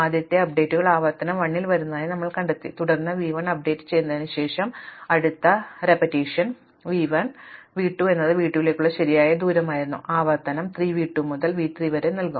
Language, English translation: Malayalam, Then, we find that the first updates comes in iteration 1, then after have been updated v 1 the next iteration v 1, v 2 is was a correct distance to v 2, iteration 3 will give as v 2 to v 3 and so on